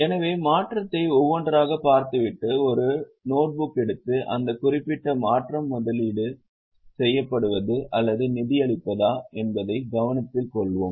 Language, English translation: Tamil, One by one look at the change and take a notebook and note whether that particular change is investing or financing